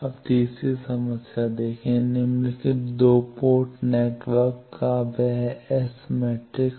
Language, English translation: Hindi, Now see the third problem, that S matrix of the following 2 port network